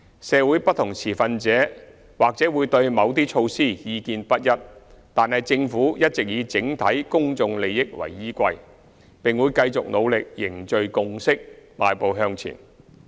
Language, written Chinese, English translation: Cantonese, 社會不同持份者或會對某些措施意見不一，但政府一直以整體公眾利益為依歸，並會繼續努力凝聚共識，邁步向前。, Various stakeholders in society may hold divergent views on certain initiatives but the Government has all along been working for the overall public interest and it will continue to strive to forge consensus and move forward